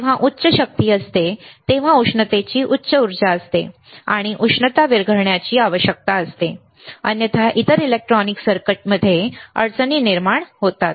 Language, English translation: Marathi, When there is a high power there is a high energy lot of a heat, and heat we need to dissipate, otherwise it will cause difficulties in other the other electronic circuits